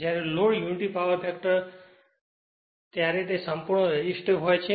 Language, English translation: Gujarati, When load unity power factor, it is purely resistive right